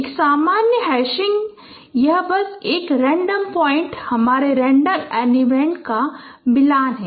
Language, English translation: Hindi, In a general hashing it is simply it is a it is a matching of a random point, my random element